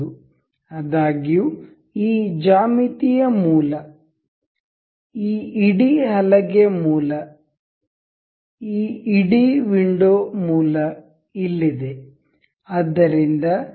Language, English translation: Kannada, However the origin of this geometry, origin of this whole play this whole window is here